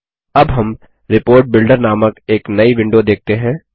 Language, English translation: Hindi, We now see a new window which is called the Report Builder window